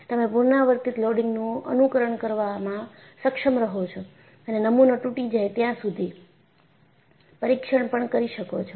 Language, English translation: Gujarati, So, you have been able to simulate a repeated loading and also perform a test until the specimen breaks